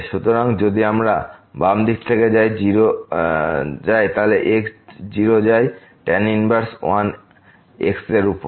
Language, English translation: Bengali, So, if we go from the left hand side as goes to 0 inverse 1 over